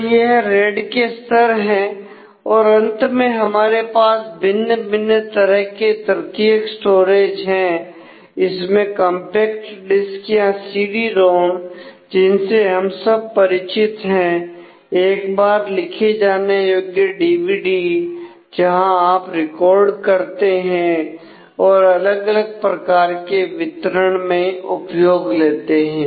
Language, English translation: Hindi, And so, these are the RAID levels then of course, finally there are different tertiary storages compact disk CD ROM we all are familiar that DVD the record once versions where you just record and use that particularly for different kind of distribution these